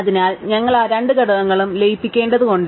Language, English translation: Malayalam, So, we have to merge those two components